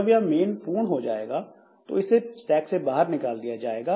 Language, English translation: Hindi, And when this main is over, this whole thing will be popped out from this stack